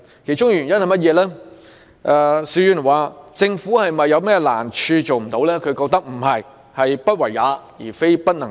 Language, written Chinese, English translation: Cantonese, 究其原因，邵議員認為政府並不是遇到甚麼困難，所以未能做到，而是"不為也，非不能也"。, Mr SHIU is of the view that if we look into the reasons behind we will see that the failure to set up such a centre is not caused by the difficulties faced by the Government but by its unwillingness to do so